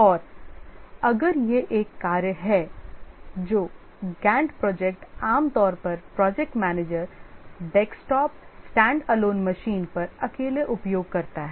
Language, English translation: Hindi, And if it's a task which is, a Gant project is typically the project manager uses alone on a desktop and a standalone machine